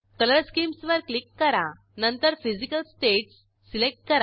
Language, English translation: Marathi, Click on Color Schemes and select Physical states